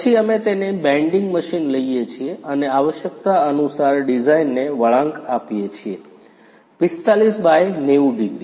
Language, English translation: Gujarati, Then we take it to the bending machine and bends the design according to the requirement – 45/90 degrees